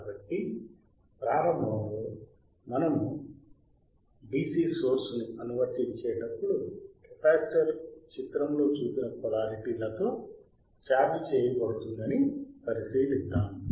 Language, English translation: Telugu, So, initially, let us consider that the when we apply the DC source, the capacitor is charged with polarities as shown in figure